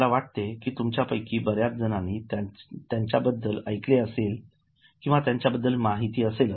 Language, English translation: Marathi, I think many of you might have heard about them or might have been aware about them